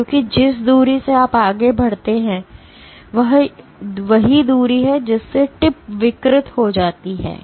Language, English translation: Hindi, Because the distance by which you move further is the same distance by which the tip gets deformed